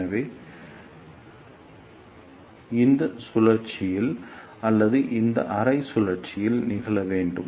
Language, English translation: Tamil, So, bunching should occur either in this cycle or in this half cycle